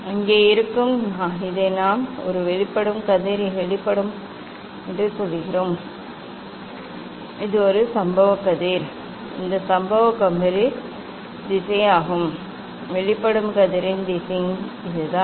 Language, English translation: Tamil, there will be there; this we tell this a emergent ray emergent ray this is a incident ray, this is the incident ray; this is the direction of the incident ray is this and direction of the emergent ray is this